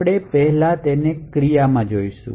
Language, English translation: Gujarati, So, we will first see this in action